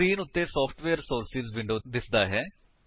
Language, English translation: Punjabi, Software Sources window appears on the screen